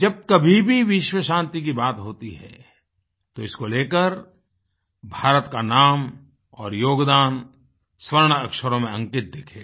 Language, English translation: Hindi, Wherever there will be a talk of world peace, India's name and contribution will be written in golden letters